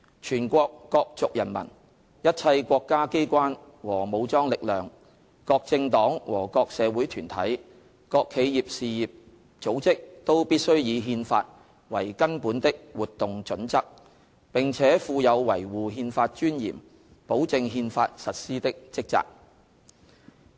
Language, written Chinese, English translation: Cantonese, 全國各族人民、一切國家機關和武裝力量、各政黨和各社會團體、各企業事業組織，都必須以憲法為根本的活動準則，並且負有維護憲法尊嚴、保證憲法實施的職責。, The people of all nationalities all State organs the armed forces all political parties and public organizations and all enterprises and institutions in the country must take the Constitution as the basic standard of conduct and they have the duty to uphold the dignity of the Constitution and ensure its implementation